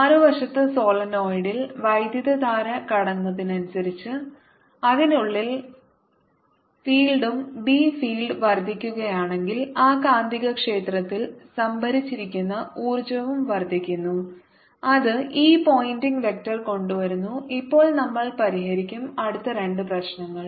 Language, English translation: Malayalam, on the other hand, in the solenoid, as the current increases, so does the field inside, and if the b field is increasing, the energy stored in that magnetic field is also increasing, and that is brought in by this pointing vector